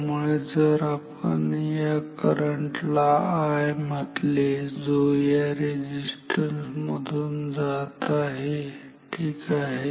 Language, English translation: Marathi, So, if we call this current as I which is flowing through this resistance ok